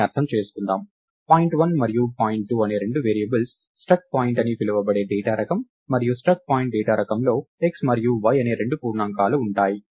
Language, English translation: Telugu, So, the way to interpret this is point 1 and point 2 are two variables of the data type called struct point and the struct point data type has two integers in it x and y